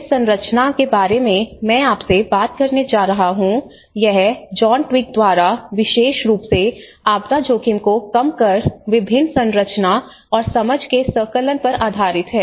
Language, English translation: Hindi, And whatever the frameworks which I am going to talk to you about, it is based on a huge compilation of various frameworks and understandings by John Twigg, especially on the disaster risk reduction